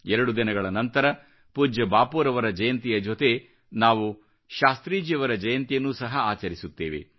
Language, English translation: Kannada, Two days later, we shall celebrate the birth anniversary of Shastriji along with respected Bapu's birth anniversary